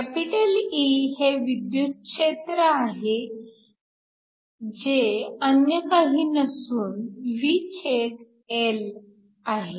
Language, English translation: Marathi, E is the electric field, which is nothing but the voltage V/L